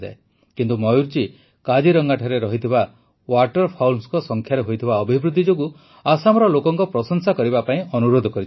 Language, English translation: Odia, But Mayur ji instead has asked for appreciation of the people of Assam for the rise in the number of Waterfowls in Kaziranga